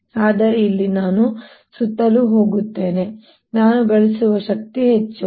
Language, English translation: Kannada, but here i go around more, more is the energy that i gain